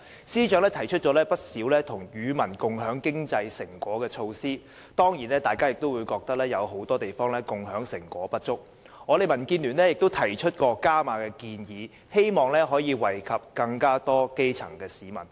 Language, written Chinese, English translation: Cantonese, 司長提出了不少與民共享經濟成果的措施，大家當然覺得有很多地方共享成果不足，所以我們民建聯提出了"加碼"建議，希望可以惠及更多基層市民。, He thus introduced a number of measures to share the fruits of economic success with the people but Members considered such initiatives inadequate . Therefore the Democratic Alliance for the Betterment and Progress of Hong Kong DAB put forward an enhanced proposal to bring benefits to more people at the grass - roots level